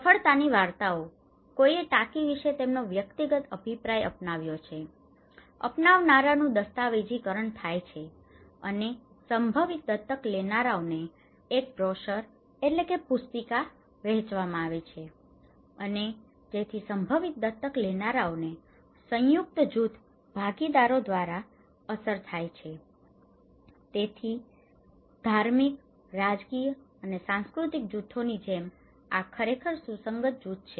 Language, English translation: Gujarati, The success stories; someone's adopted their personal opinion of the tank okay, adopters and could be documented, and distributed in a brochure to potential adopters and potential adopters are affected by cohesive group partners, so under this like religious, political and cultural groups these are actually cohesive groups so, we can use these groups for dissemination